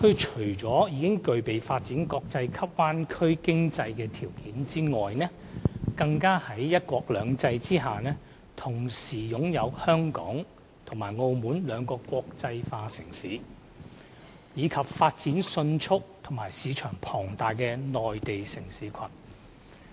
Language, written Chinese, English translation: Cantonese, 除了具備發展國際級灣區經濟的條件外，大灣區更在"一國兩制"下同時擁有香港及澳門兩個國際化城市，以及發展迅速和市場龐大的內地城市群。, Besides being well - equipped to develop a world - class bay area economy the Bay Area comprises the two international cities of Hong Kong and Macao under one country two systems and also a fast growing Mainland city cluster with huge market potentials